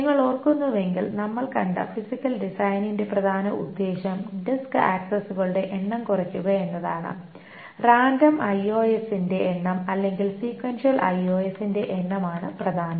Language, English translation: Malayalam, And if you also remember the main point of this physical design that we showed is that is to reduce the number of this disk accesses, the number of random IOS or the number of sequential IOS is the main point